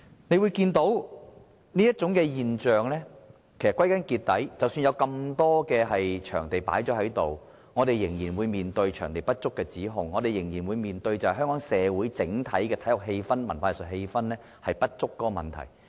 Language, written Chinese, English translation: Cantonese, 我們看到的現象是，即使有很多場地，我們仍然會面對場地不足的指控，仍然會面對香港社會整體體育氣氛、文化藝術氣氛不足的問題。, This is a phenomenon in Hong Kong that despite the plentiful supply of activity venues there are still allegations of the lack of venues and of the overall dull atmosphere for sports culture and arts in society